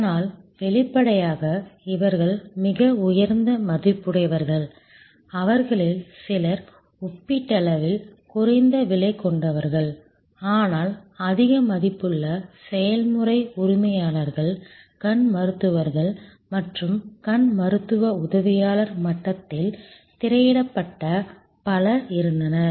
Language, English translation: Tamil, So; obviously, these are people who are very high valued, few of them relatively less expensive, but also high valued process owners, the eye doctors and there were lot of people who were getting screened at the ophthalmic assistant level